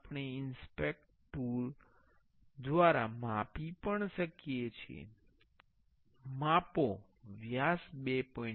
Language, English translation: Gujarati, We can measure by going inspect tool and measure the diameter is 2